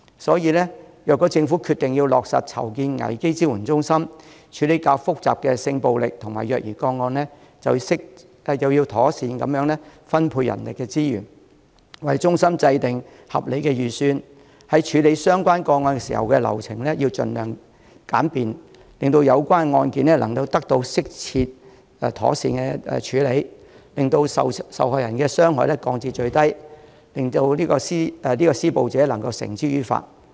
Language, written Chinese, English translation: Cantonese, 所以，如果政府決定落實籌建危機支援中心，處理較複雜的性暴力和虐兒個案，就要妥善分配人力資源，為中心制訂合理的預算，在處理相關個案時，流程要盡量精簡，令有關案件得到適切妥善的處理，令受害人所受的傷害降至最低，並可將施暴者繩之以法。, Therefore if it is the decision of the Government to establish crisis support centres for handling more complex cases of sexual violence and child abuse it should make proper allocation of manpower resources and draw up a reasonable budget for the centres . The process for handling relevant cases should be streamlined as much as possible so that the cases can be handled properly with the victims suffering from minimal impact and the perpetrators being brought to justice